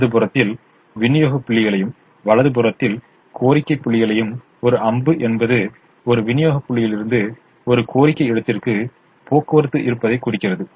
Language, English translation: Tamil, its customary to represent the supply points on the left hand side and the demand points on the right hand side, and an arrow indicates that there is transportation from a supply point to a demand point